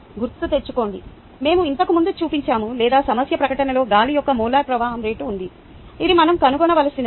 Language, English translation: Telugu, right, remember we had earlier shown or the problem statement had the molar flow rate of air